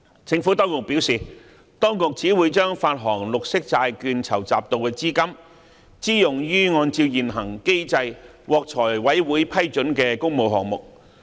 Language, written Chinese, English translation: Cantonese, 政府當局表示，當局只會把發行綠色債券籌集到的資金支用於按照現行機制獲財務委員會批准的工務項目。, The Administration has advised that proceeds raised by green bond issuances will only be used on public works projects approved by the Finance Committee under the existing mechanism